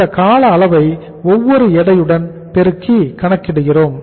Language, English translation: Tamil, So we are multiplying by the weights